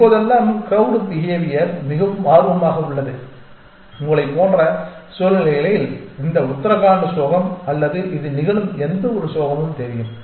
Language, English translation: Tamil, And nowadays of course, crowd behavior is of great interest specially in situations like you know this Uttarakhand tragedy or any tragedy that befalls upon this